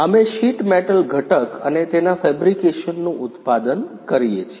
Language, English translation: Gujarati, We are manufacturing sheet metal component and fabrication